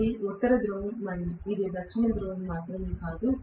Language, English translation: Telugu, It is not only a North Pole and South Pole per se